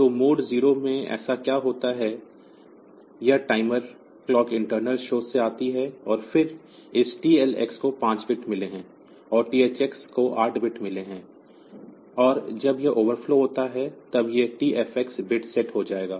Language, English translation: Hindi, So, this this comes from the internal source, and then this TLX has got 5 bits, and THX has got 8 bits, and when it overflows then this TFx bit will be set